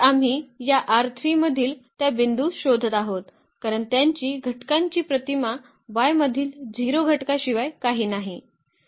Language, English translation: Marathi, So, we are looking for those points in this R 3 because their element their image is nothing but the 0 element in y